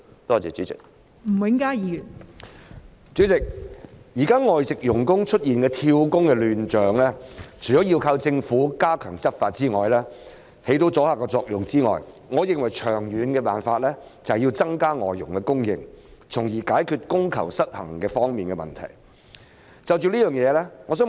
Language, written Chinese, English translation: Cantonese, 代理主席，對於現時外籍傭工出現"跳工"的亂象，我認為除了靠政府加強執法以起阻嚇作用外，長遠的辦法是增加外傭的供應，從而解決供求失衡的問題。, Deputy President regarding the present chaotic situation concerning job - hopping of FDHs apart from stepping up law enforcement efforts by the Government to achieve a deterrent effect I think the long - term solution lies in increasing the supply of FDHs to resolve the supply - demand imbalance